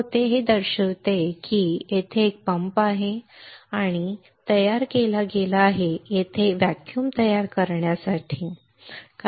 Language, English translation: Marathi, It shows this one it shows there is a pump there is a pump that is created for that is there is there for creating vacuum, right